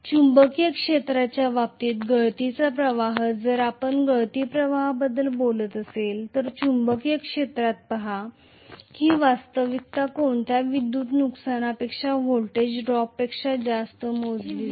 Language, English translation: Marathi, Leakage flux in the case of the magnetic field, see in the magnetic field if you are talking about leakage flux, that will be actually counted as the voltage drop more than any power loss